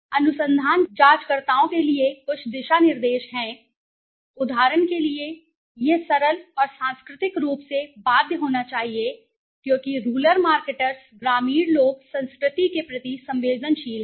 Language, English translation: Hindi, There is some guidelines for the research investigators, appearance, for example, it should be simple and culturally bound because rural marketers rural people are sensitivity to the culture